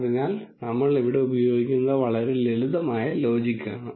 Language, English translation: Malayalam, So, we are using a very very simple logic here